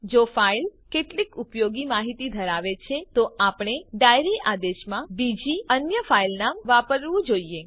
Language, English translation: Gujarati, If the file contains some useful information, then one should use the some other file name in the diary command